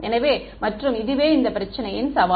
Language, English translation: Tamil, So, this is the challenge of this problem and